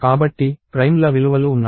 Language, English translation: Telugu, So, there are values of primes